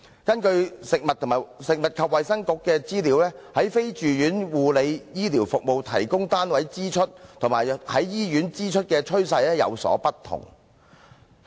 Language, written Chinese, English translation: Cantonese, 根據食物及衞生局的資料，在非住院護理醫療服務提供單位支出及在醫院支出的趨勢有所不同。, According to the Food and Health Bureaus information the trend for health expenditure at providers of ambulatory health care and at hospitals was diverse